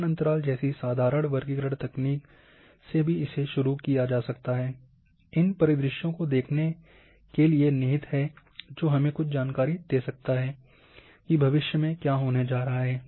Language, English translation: Hindi, Starting from simple classification technique even equal interval can be implied to look these scenarios which can give us some insight of the what is going to happen in future